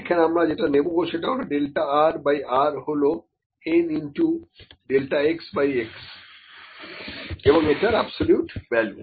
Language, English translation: Bengali, So, we will use delta r by r is equal to n times delta x by x absolute values